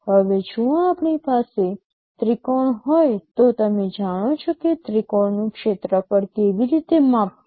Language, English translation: Gujarati, Now, if we have a triangle you know how to measure the area of the triangle